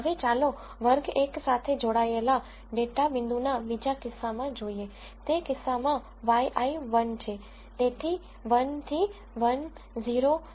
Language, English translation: Gujarati, Now, let us look at the other case of a data point belonging to class 1, in which case y i is 1 so, 1 minus 1 0